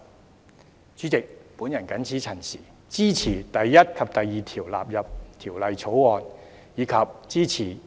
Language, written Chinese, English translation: Cantonese, 代理主席，我謹此陳辭，支持第1及2條納入《條例草案》，以及支持《條例草案》三讀。, Deputy Chairman with these remarks I support clauses 1 and 2 standing part of the Bill and support the Third Reading of the Bill